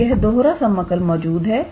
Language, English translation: Hindi, So, this double integral will exist